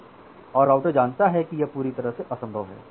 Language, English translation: Hindi, And the router knows that it is totally impossible